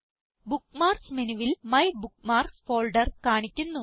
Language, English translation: Malayalam, The MyBookMarks folder is displayed in the Bookmarks menu